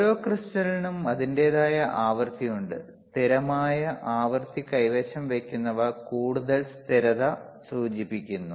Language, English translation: Malayalam, Each crystal has itshis own frequency and implies greater stability in holding the constant frequency